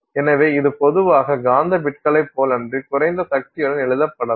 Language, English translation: Tamil, And so this can typically be written with lower power unlike magnetic bits